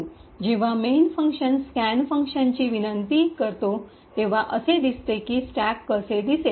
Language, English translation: Marathi, So, when the main function invokes the scan function this is how the stack is going to look like